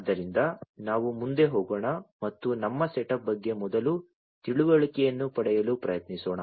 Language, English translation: Kannada, So, let us go further and try to get an understanding first about our setup